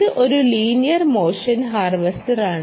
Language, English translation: Malayalam, alright, so here is the linear harvester